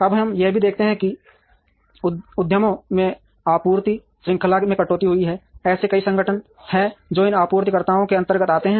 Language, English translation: Hindi, Now, we also see here the supply chain cuts across enterprises; there are lots of organizations many organizations who come under these suppliers